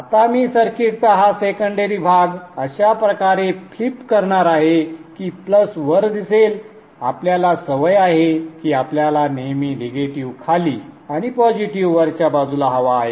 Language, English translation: Marathi, Now I am going to kind of flip this secondary portion of the circuit such that the plus appears up so that as we are used to we would like to have the positive on top and the negative at the bottom